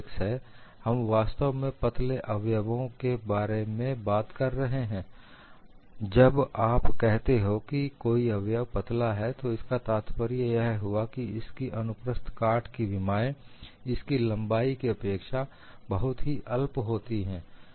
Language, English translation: Hindi, We are really talking about slender members, when you say slender member, the cross sectional dimensions are much smaller than the length